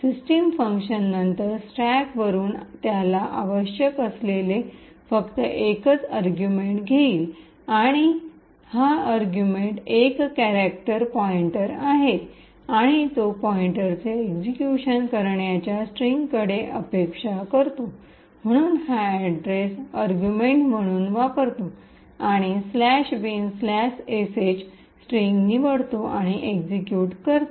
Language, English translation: Marathi, The system function would then pick from the stack, the only argument that it requires and this argument is a character pointer and it is expecting a pointer to a string comprising of an executable, so it uses this address as the argument and picks the string /bin/sh and executes it